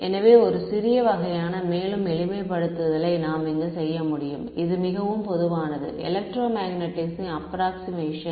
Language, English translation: Tamil, So, one small sort of further simplification we can do over here which is a very common approximation in electromagnetics